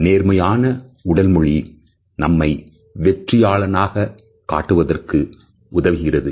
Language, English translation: Tamil, A positive body language helps us in projecting ourselves in a more successful manner